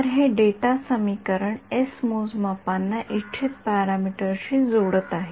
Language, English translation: Marathi, So, this data equation s is connecting the measurements to the desired parameter we have seen that